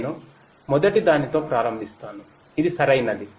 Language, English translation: Telugu, I would start with the first one which is correctness